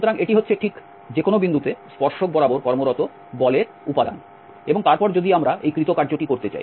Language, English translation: Bengali, So, this is exactly the component of the force acting along the tangent at any point and then if we want to get this work done